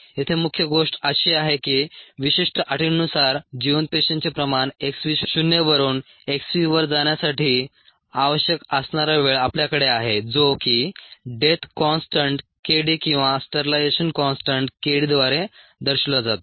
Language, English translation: Marathi, the main thing here is that we have the time that is necessary for the viable cell concentration to go down from x v naught to x v under certain set of conditions, which is characterized by this death constant k d or this sterilization constant k d